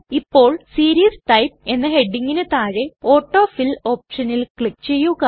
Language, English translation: Malayalam, Now under the heading, Series type, click on the AutoFill option